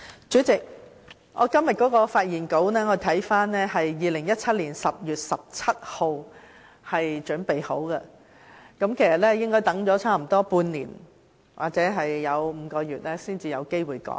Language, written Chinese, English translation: Cantonese, 主席，我留意到今天的發言稿在2017年10月17日已經備妥，結果等了接近半年或5個月時間才有機會用到。, President I notice that my speech today was already ready on 17 October 2017 . After a wait of almost half a year or five months here comes the chance for me to give this speech